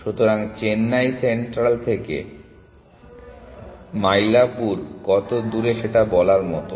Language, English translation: Bengali, So, it is like saying how far Mailapur from Chennai central